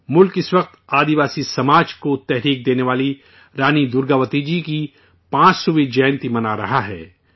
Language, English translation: Urdu, The country is currently celebrating the 500th Birth Anniversary of Rani Durgavati Ji, who inspired the tribal society